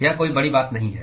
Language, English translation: Hindi, It is not a big deal